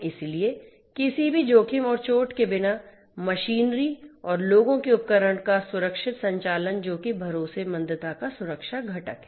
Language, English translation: Hindi, So, safe operations of the device of the machinery and the people without posing any risks and injury that is the safety component of the trustworthiness